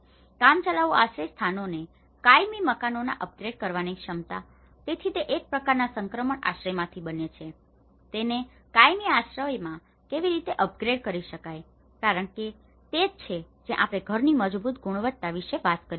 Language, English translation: Gujarati, Ability to upgrade temporary shelters into permanent houses, so one is from a kind of transition shelter, how it could be upgraded to a permanent shelter because that is where we talk about the robust quality of the house